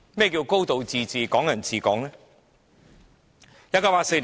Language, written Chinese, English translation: Cantonese, 何謂"高度自治"、"港人治港"呢？, What is meant by a high degree of autonomy and Hong Kong people administering Hong Kong?